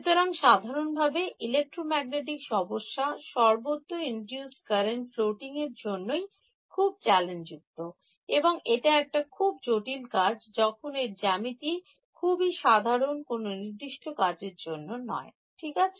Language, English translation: Bengali, So, in general and electromagnetic problems are very challenging because of these induced currents floating around everywhere and this is one rigorous way of dealing with it when the geometry is very general need not be some very specific thing ok